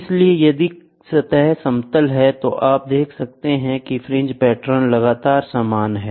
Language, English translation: Hindi, So, if the surface is flat, you can see the fringe patterns continuously are the same